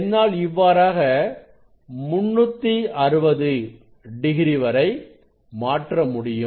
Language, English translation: Tamil, that way I can change; that way I can change up to 360 degree